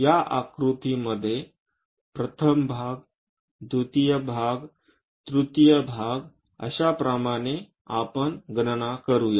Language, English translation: Marathi, Let us count like first part, second, third parts on this figure